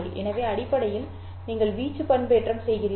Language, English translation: Tamil, So essentially you are doing amplitude modulation